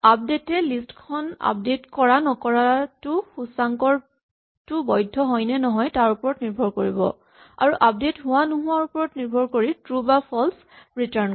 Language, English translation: Assamese, Remember update will update the list or not update the list depending on whether the index is valid and it will return true or false depending on whether they update succeeded